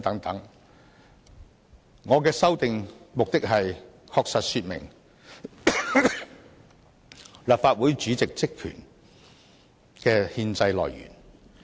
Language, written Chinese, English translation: Cantonese, 我提出修訂的目的，是訂明立法會主席職權的憲制來源。, I propose the amendment for the purpose of stating the constitutional source of the powers and functions of the President